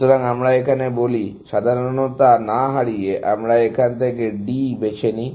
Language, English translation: Bengali, So, let us say, without loss of generality, we pick D from here